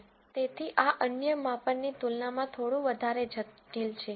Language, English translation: Gujarati, So, this is little more complicated than the other measures